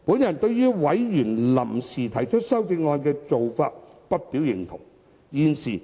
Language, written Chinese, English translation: Cantonese, 我對於委員臨時提出修正案的做法不表認同。, I do not endorse the members move to propose amendments on an ad hoc basis